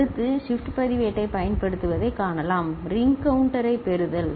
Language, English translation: Tamil, Next, we can see use of shift register what is the called, getting ring counter, ok